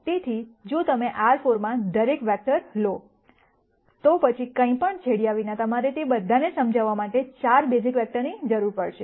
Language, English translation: Gujarati, So, if you take every vector in R 4, without leaving out anything then, you would need 4 basis vectors to explain all of them